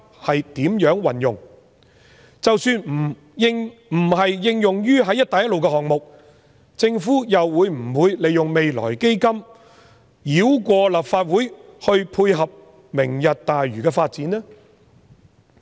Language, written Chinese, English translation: Cantonese, 即使不是應用在"一帶一路"項目，政府會否利用未來基金繞過立法會，以配合"明日大嶼"的發展呢？, Even if the money is not used in Belt and Road projects will the Government circumvent the Legislative Council and use the Future Fund to meet the development needs of the Lantau Tomorrow project?